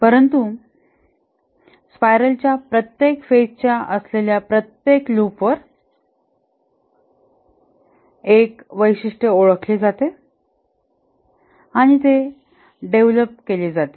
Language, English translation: Marathi, But over each phase, that is each loop of the spiral, one feature is identified and is developed